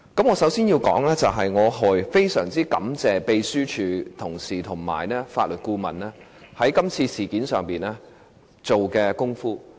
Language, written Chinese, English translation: Cantonese, 我首先要說，我非常感謝秘書處同事和法律顧問在這次事件上所做的工夫。, First of all I have to thank the colleagues of the Secretariat and the Legal Adviser for their efforts in this case